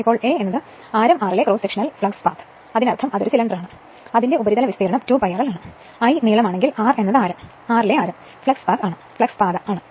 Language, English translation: Malayalam, Now, a is equal to cross sectional flux path at radius r; that means, you have to it is too that is a cylinder it is surface area is 2 pi r l, if l is the length, r is the radius and flux path at radius r